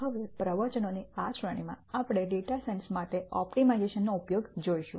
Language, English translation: Gujarati, In this series of lectures now, we will look at the use of optimization for data science